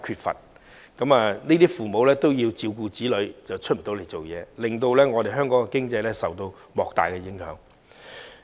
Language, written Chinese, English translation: Cantonese, 如果在職父母因要照顧子女而無法外出工作，香港經濟將受到莫大影響。, If working parents are no longer able to go out to work as they have to take care of their children Hong Kong economy will be significantly affected